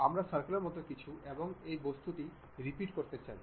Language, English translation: Bengali, Something like circle and this object we want to repeat it